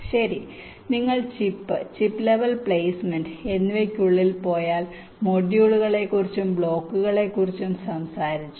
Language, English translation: Malayalam, well now, if you go inside the chip chip level placement, you talked about the modules and the blocks